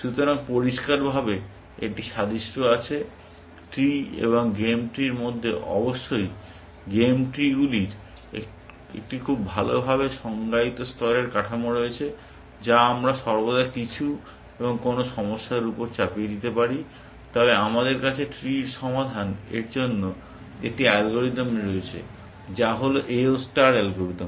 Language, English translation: Bengali, So, there is clearly an analogy, between and over trees and game trees; of course, game trees have a very well defined layer structure, which we can always impose on some and over problems, but we have an algorithm for solving and over trees, which is the A O star algorithm